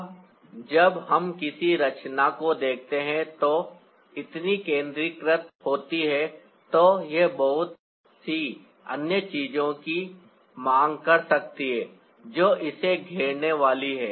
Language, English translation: Hindi, now, when we look at the composition, which is so centralized, it may also demand a lot of other things that is going to surround it